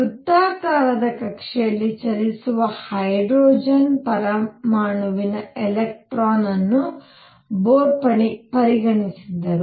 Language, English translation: Kannada, The Bohr had considered electron in a hydrogen atom moving in a circular orbit